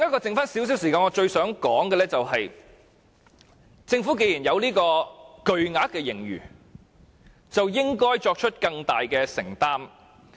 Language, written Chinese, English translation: Cantonese, 剩下少許時間，我想說：政府既然坐擁巨額盈餘，便應該作出更大的承擔。, In the few minutes that remain I want to say that as the Government is sitting on a huge amount of surplus it should commit itself to bigger undertakings